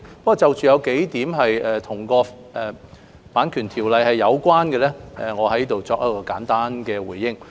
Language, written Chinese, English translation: Cantonese, 不過，對於數項與《版權條例》有關的意見，我會在這裏作簡單回應。, However regarding the several suggestions related to the Copyright Ordinance I will respond briefly here